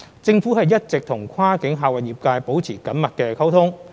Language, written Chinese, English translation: Cantonese, 政府一直與跨境客運業界保持緊密溝通。, The Government has been maintaining close communication with the cross - boundary passenger transport trade